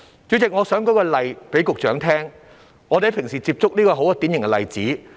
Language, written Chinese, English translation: Cantonese, 主席，我想給局長舉一個我們平時接觸到的典型例子。, President I wish to give the Secretary a typical example that we often come across